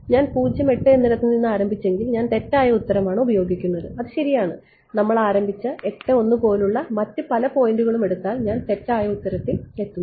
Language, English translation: Malayalam, If I started 0 8 then I use the wrong answer right that is correct and many other points we have started 8 comma 1 also I reach the wrong answer